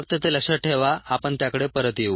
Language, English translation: Marathi, just keep that in mind will come back right